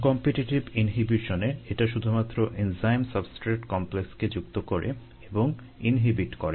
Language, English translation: Bengali, in the uncompetitive inhibition, it binds only to the enzyme substrate complex and inhibits